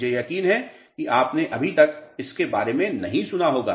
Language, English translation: Hindi, This I am sure you might not have heard about yet